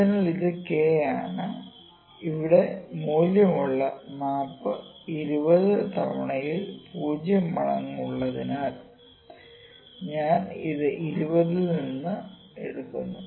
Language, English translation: Malayalam, So, this is actually I am presenting k, this is k here and I am taking this out of 20 like the map with the value here is 0 times in 20 times, ok